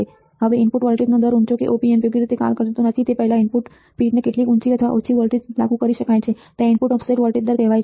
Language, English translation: Gujarati, Now, input voltage range high how high or low voltage the input pins can be applied before Op amp does not function properly there is called input offset voltage ranges